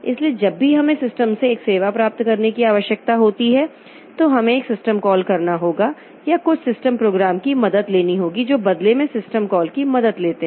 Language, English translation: Hindi, So whenever we need to get a service from the system, so we have to make a system call or take help of some system program which in turn takes help of system call